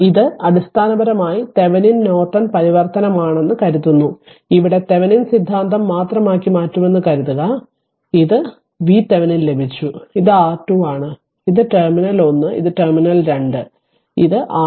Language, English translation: Malayalam, The idea is sometimes we call that it is basically Thevenin Norton transformation suppose Thevenins theorem making it here only suppose Thevenin theorem, this is your V Thevenin you got right this is your V Thevenin you got and your this is your R Thevenin, this is your R Thevenin and this is terminal one and this is terminal 2 this is your R Thevenin right